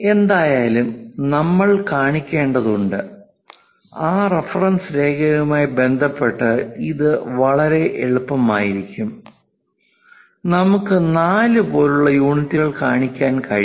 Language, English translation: Malayalam, 5 anyway we have to show and it will be quite easy with respect to that reference line, we can show these units like 4